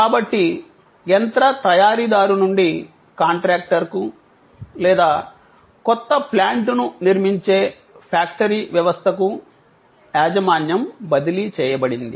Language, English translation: Telugu, So, there was a transfer of ownership from the machine manufacturer to the contractor or to the factory system constructing the new plant